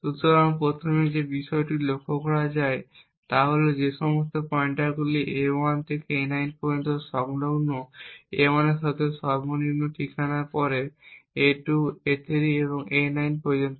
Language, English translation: Bengali, So, the first thing to notice is that all of these pointers a1 to a9 are contiguous with a1 having the lowest address followed by a2, a3 and so on till a9